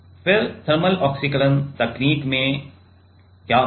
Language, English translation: Hindi, So, then in thermal oxidation technique what will happen